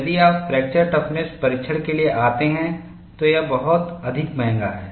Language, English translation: Hindi, If you come to fracture toughness testing is much more expensive